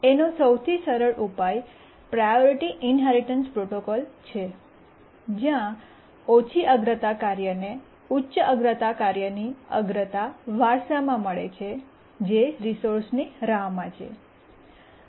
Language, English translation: Gujarati, The simplest solution is the priority inheritance protocol where a low priority task inherits the priority of high priority task waiting for the resource